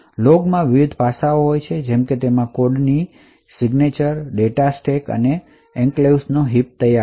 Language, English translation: Gujarati, So, the log contains the various aspects like it has signatures of the code, data stack and heap in the enclave